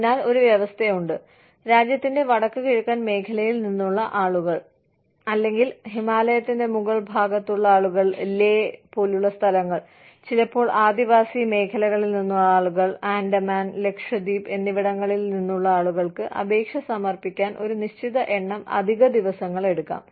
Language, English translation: Malayalam, So, there is a clause, that people from the north eastern region of the country, people from Leh, you know, upper reaches of the Himalayas, sometimes people from tribal areas, people from the Andamans and Lakshadweep, can take a certain number of days, extra, to submit their applications